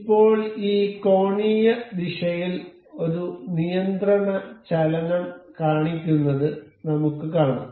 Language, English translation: Malayalam, Now, we can see this shows a constraint motion in in this angular direction